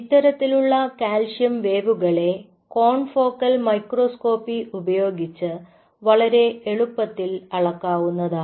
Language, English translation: Malayalam, something like this and the these kind of wave could be easily measured using confocal microscopy